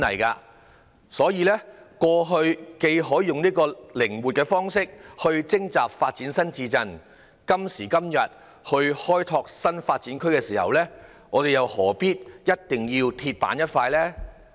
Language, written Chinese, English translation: Cantonese, 既然過去可以採取靈活的方式徵地發展新市鎮，今時今日開拓新發展區時，又何必要像"鐵板"一塊呢？, If the Government could adopt a flexible approach to acquire land for developing new towns in the past it should not be rigid like an iron plate in opening up new development areas now should it?